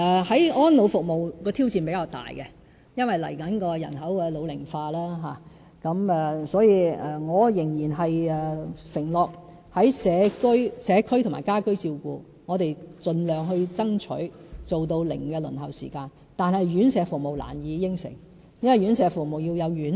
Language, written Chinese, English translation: Cantonese, 在安老服務方面的挑戰比較大，因為未來人口老齡化，我仍然承諾在社區和家居照顧上，我們盡量爭取做到"零輪候"時間，但院舍服務難以承諾，因為院舍服務需要有院舍。, In respect of elderly services we face a greater challenge due to population ageing . I still undertake to strive for zero - waiting time in the provision of community care and home care services . But I cannot make such a promise for residential care services because these services need premises